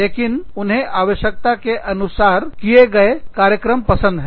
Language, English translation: Hindi, So, they like tailor made programs